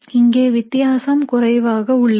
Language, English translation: Tamil, The difference here is small